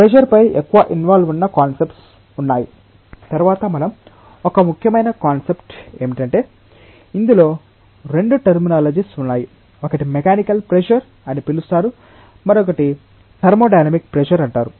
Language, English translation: Telugu, There are more involved concepts on pressure, which we will come across subsequently one important concept is that there are 2 terminologies involved one is called as mechanical pressure another is called as thermodynamic pressure